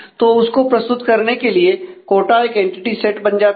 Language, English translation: Hindi, So, to represent so, quota becomes an entity set